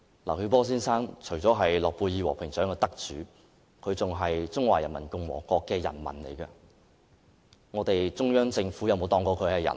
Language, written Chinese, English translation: Cantonese, 劉曉波先生除了是諾貝爾和平獎得主外，也是中華人民共和國的人民，但中央政府有當他是人嗎？, Mr LIU Xiaobo is not only the Nobel Peace Prize laureate but also a citizen of the Peoples Republic of China . And yet has the Central Government treated him as a human being?